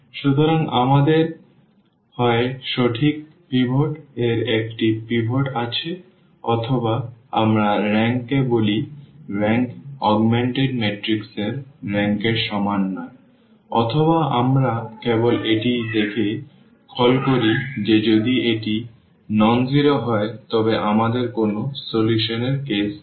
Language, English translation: Bengali, So, we have either the rightmost pivot has rightmost column has a pivot or we call rank a is not equal to the rank of the augmented matrix or we call simply by looking at this that if this is nonzero then we have a case of no solution, clear